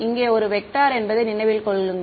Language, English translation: Tamil, Remember here this is a vector